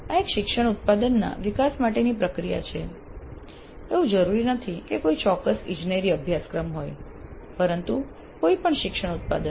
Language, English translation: Gujarati, This is a process for development of a learning product, not necessarily a specific engineering course but any learning product